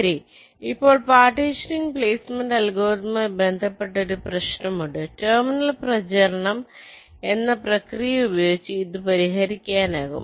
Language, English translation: Malayalam, fine, now there is an associated problem with any partitioning based placement algorithm, and this can be solved by using a process called terminal propagation